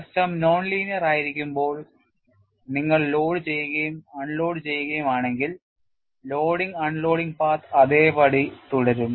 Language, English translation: Malayalam, When you are having the system as non linear, if you load and if you unload, the loading and unloading path would remain same